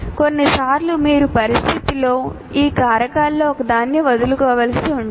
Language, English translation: Telugu, Sometimes you may have to forego one of these factors in a given situation